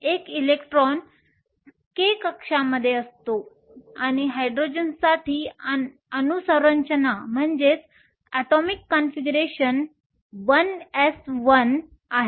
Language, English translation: Marathi, The one electron is in the k shell and the atomic configuration for Hydrogen is 1 s 1